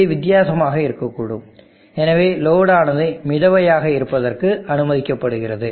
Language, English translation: Tamil, It can be different and therefore, it is permissible to how the load floating